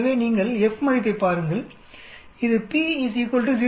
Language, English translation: Tamil, So you look at the F value and this is for p is equal to 0